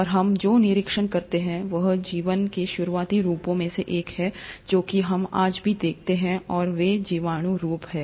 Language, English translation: Hindi, And what we also observe is one of the earliest forms of lives are something which we even see them today and those are the bacterial forms